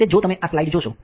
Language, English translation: Gujarati, That, if you if you see this slide